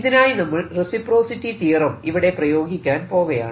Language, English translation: Malayalam, so this gives you another application of reciprocity theorem